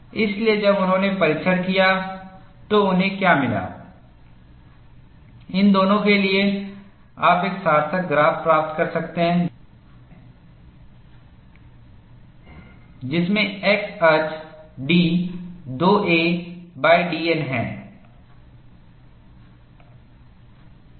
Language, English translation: Hindi, So, when they performed the test, what they found was, for both of these, you could get a meaningful graph, wherein, the x axis is d 2 a by d N